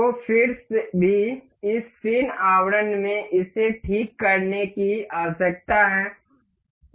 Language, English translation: Hindi, So, still this needs to be fixed in this fin casing